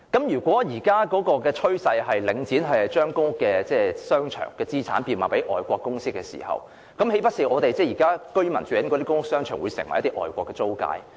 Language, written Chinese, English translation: Cantonese, 如果領展現時的趨勢是將其公屋商場資產賣給外國基金公司，那豈非表示供居民使用的公屋商場將成為外國租界？, If it is the Links current trend to sell its assets in PRH to foreign sovereign funds does it mean that those shopping centres provided for PRH residents will be turned into foreign concessions?